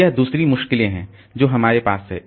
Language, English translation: Hindi, So, that is the other difficulty that we have